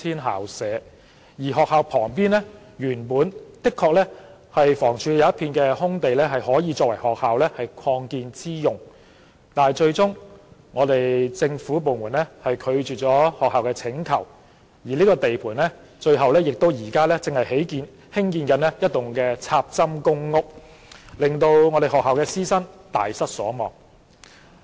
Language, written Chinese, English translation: Cantonese, 學校旁原本的確有一幅屬房屋署的空地可供學校作擴建之用，但最終政府部門拒絕了學校的請求，而這幅空地現在成了地盤，正在興建一幢"插針"公屋，令該學校師生大失所望。, Originally an idle land lot under the Housing Department next to the school could be used for its extension but eventually the government department rejected the schools request . Now the idle land lot has become a construction site where a standalone public rental housing building is being built much to the chagrin of the teachers and students of the school